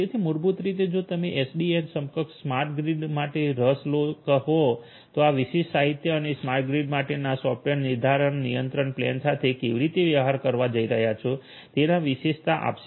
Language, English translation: Gujarati, So, basically this particular literature in case you are interested for SDN enabled you know smart grid this particular literature will give you the highlights of how you are going to deal with the software defined control plane for the smart grid